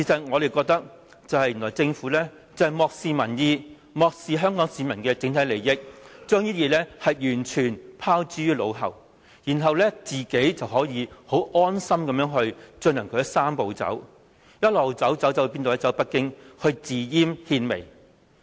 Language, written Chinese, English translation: Cantonese, 我們認為政府漠視民意、漠視香港市民的整體利益，將這些原則完全拋諸腦後，然後可以十分安心地進行其"三步走"，一直走、一直走，走到哪裏呢？, The fact we must say is that the Government has chosen to ignore public views and Hong Kong peoples overall interest and to brush aside all the principles we uphold . Then without a qualm it will proceed with the Three - step Process